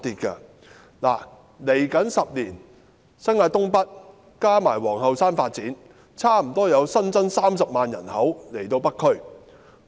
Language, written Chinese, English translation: Cantonese, 未來10年，新界東北加上皇后山的發展，差不多會為北區新增30萬人口。, In the coming decade the development of North East New Territories and Queens Hill will bring an additional population of 300 000 to North District